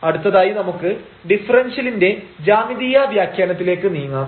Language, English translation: Malayalam, Well so, moving next to the geometrical interpretation of differentials